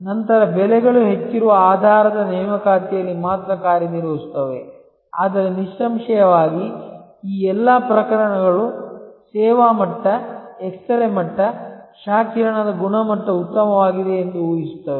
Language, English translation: Kannada, Then, only operate on the basis appointment the prices are higher, but; obviously, all this cases will assume that the service level is, that x ray level is, x ray quality is good